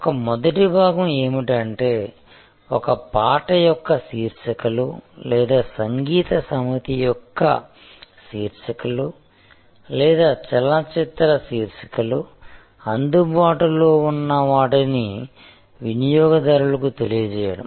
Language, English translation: Telugu, So, one is the first part is to inform the customer that what is available like the title of a song or the title of a set of music or the title of a movie or the details about a particular journal